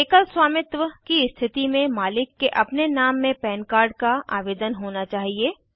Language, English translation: Hindi, In case of sole proprietorship, the PAN should be applied for in the proprietors own name